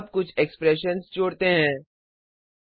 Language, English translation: Hindi, Now let us add some expressions